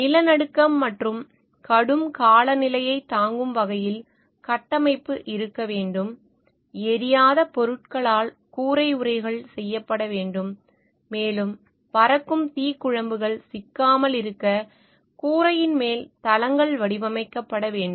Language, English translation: Tamil, Structure should be able to withstand earthquakes and heavy weather, roof coverings should be made from non flammable materials and roofs overhangs should be fashioned so flying embers will not be trapped